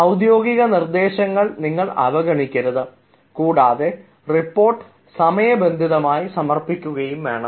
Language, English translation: Malayalam, you should not ignore the official instructions and should submit the report in no time